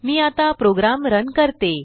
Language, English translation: Marathi, Let me run the program now